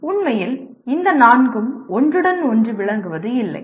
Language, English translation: Tamil, Actually all these four are not mutually exclusive